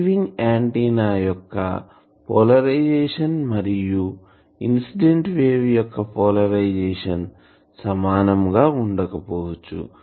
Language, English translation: Telugu, The polarisation of the receiving antenna may not be the same as the polarisation of the incident wave